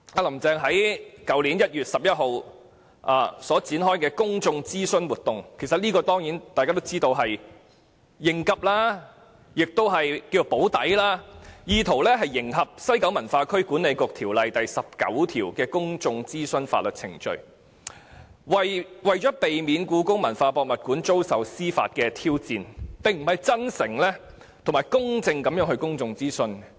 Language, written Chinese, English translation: Cantonese, "林鄭"在去年1月11日展開公眾諮詢活動，大家當然知道這只是應急、"補底"，意圖迎合《西九文化區管理局條例》第19條的公眾諮詢程序，避免故宮館的興建計劃遭受司法挑戰，而不是真誠及公正地進行公眾諮詢。, While Carrie LAM launched a public consultation exercise on 11 January last year we all knew that it was just a contingency move taken to meet the requirement of public consultation under section 19 of the West Kowloon Cultural District Authority Ordinance to avoid the development plan of HKPM being legally challenged . She did not mean to carry out the public consultation in a sincere and fair manner